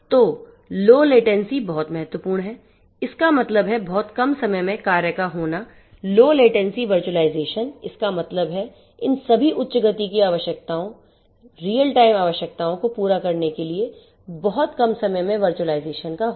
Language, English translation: Hindi, So, low latency is very important; that means, in very less time the things are going to be done low latency virtualization; that means, virtualization in very less time least time virtualization will have to be done in order to cater to all these high speed requirements, you know real time requirements and so on